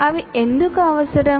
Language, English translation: Telugu, And why are they required